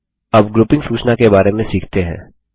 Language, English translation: Hindi, Now let us learn about grouping information